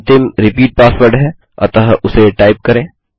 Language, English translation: Hindi, The last one is repeat password so type that